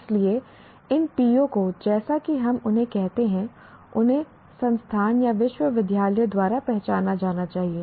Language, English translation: Hindi, So, these PIVOs, as we call them, they are to be identified by the institution or the university